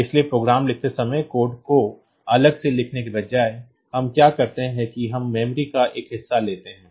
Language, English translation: Hindi, So, while writing the program; so, instead of writing the code separately what we do is that we take a portion of memory